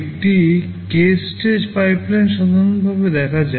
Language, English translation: Bengali, A k stage pipeline in general looks like this